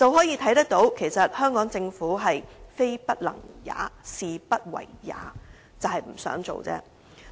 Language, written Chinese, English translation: Cantonese, 由此可見，香港政府其實是"非不能也，是不為也"，是不想做而已。, It is thus evident that the Hong Kong Government is actually unwilling rather than unable to do so meaning that it does not want to do anything